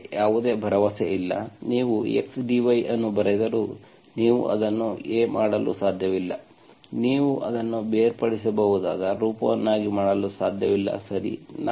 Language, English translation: Kannada, I do not have any hope, even if you write the x dy, you cannot make it a, you cannot make it a separable form, okay